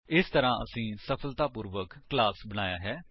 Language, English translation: Punjabi, Thus we have successfully created a class